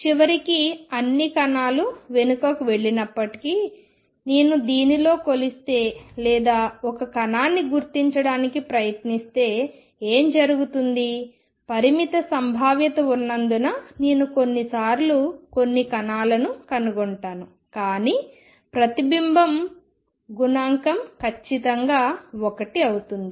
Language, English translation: Telugu, So, although eventually all particles go back what happens is if I measure or try to locate a particle in this and I will find some particles sometimes because there is a finite probability, but the reflection coefficient is certainly one